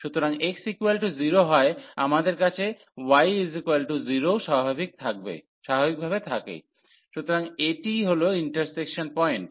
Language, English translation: Bengali, So, at x is equal to 0 we have the y also 0 naturally, so this is the point of intersection